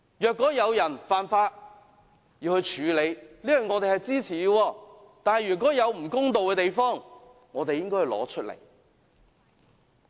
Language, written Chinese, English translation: Cantonese, 有人犯法便要處理，我們是支持的，但有不公道的地方，我們就應該拿出來討論。, We agree that whoever commits an offence should be punished yet in the event of unfair treatment we should bring forth the issue for discussion